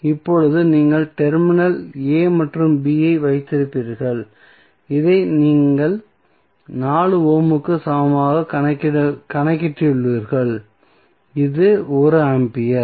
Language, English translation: Tamil, Now, you will have terminal a and b this you have just calculated equal to 4 ohm and this is 1 ampere